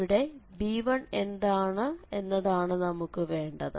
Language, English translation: Malayalam, So, the conclusion here is how to get this b1 now